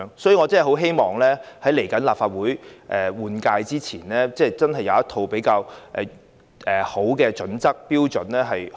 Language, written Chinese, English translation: Cantonese, 所以，我很希望在即將到來的立法會換屆選舉前，政府可以制訂一套較佳的標準。, I do hope that the Government will improve its arrangements before the upcoming Legislative Council General Election